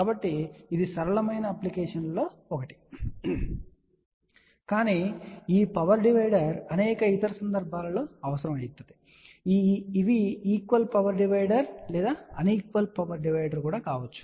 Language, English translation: Telugu, So, that is one of the simple application, but this power divider may be required at many other places which maybe a equal power divider or even un equal power divider